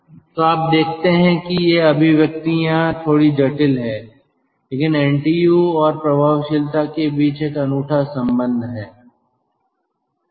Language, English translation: Hindi, so you see, these expressions are little bit complex, but there is a unique relationship between ntu and effectiveness